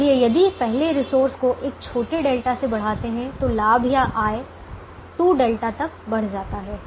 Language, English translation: Hindi, therefore, if we increase the first resource by a small delta, the profit or revenue goes up by two delta